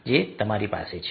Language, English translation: Gujarati, so they are those